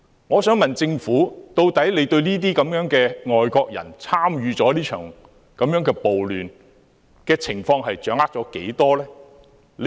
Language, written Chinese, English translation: Cantonese, 我想問政府，究竟對這些外國人參與這場暴亂的情況掌握了多少？, May I ask the Government about its understanding about the involvement of such foreigners in the riots?